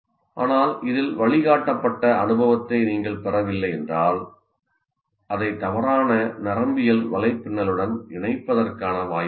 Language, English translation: Tamil, But if you do not go through a guided experience in this, there is a possibility that you connect it to the wrong network, let's say, neural network